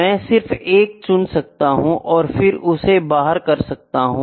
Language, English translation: Hindi, I can just pick 1 and then exclude that